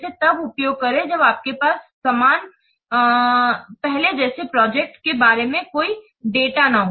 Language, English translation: Hindi, Use when you have no data about similar past projects